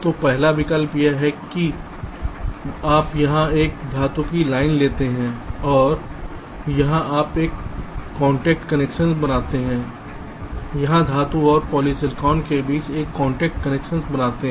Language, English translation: Hindi, so alternative is a: from here you carry a metal line and here you make a contact connection and here between metal and polysilicon you make another contact connection